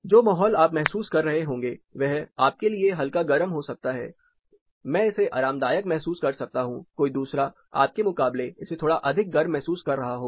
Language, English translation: Hindi, The same environment you may be feeling may be warm, I may be feeling it as comfortable somebody may be feeling it as slightly more warmer then you feel